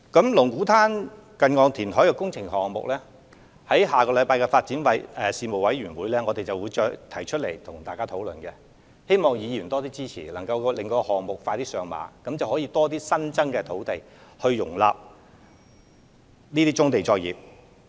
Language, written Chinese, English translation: Cantonese, 就龍鼓灘近岸填海工程項目，我們會在下星期舉行的發展事務委員會會議上，與各位議員進行討論，希望議員能多加支持，令該項目可盡快上馬，以便提供更多新增土地容納棕地作業。, We will discuss the issues concerning the Lung Kwu Tan near - shore reclamation project with Members at the meeting of the Panel on Development to be held next week and we call on Members to support the early implementation of the project so that there will be more newly created land for accommodating brownfield operations